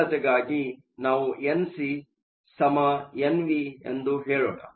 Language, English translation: Kannada, For simplicity, let us just say N c is equal to N v